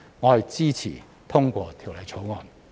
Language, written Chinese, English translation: Cantonese, 我支持通過《條例草案》。, I support the passage of the Bill